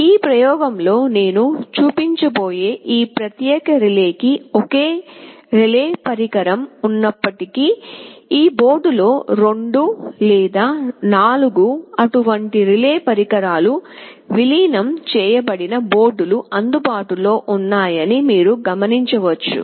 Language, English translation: Telugu, You may note that although this particular relay I shall be showing in this experiment has a single relay device, there are boards available where there are 2 or 4 such relay devices integrated in a single board